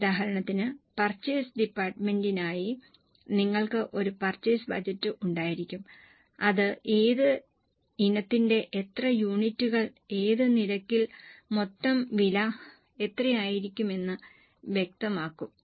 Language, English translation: Malayalam, For example, you will have a purchase budget for purchase department that will specify how many units of which item and at what rate, what will be the total cost